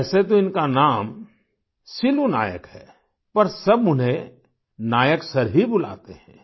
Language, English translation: Hindi, Although his name is Silu Nayak, everyone addresses him as Nayak Sir